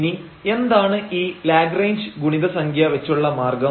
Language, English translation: Malayalam, So, what is the method of Lagrange multiplier